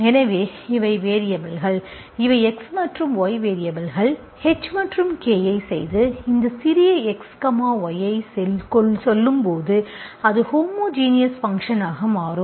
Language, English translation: Tamil, So these are the variables, these are the X and Y are the variables, H and K, you choose H and K in such a way that when you say to these small x, y into this, it will become homogeneous function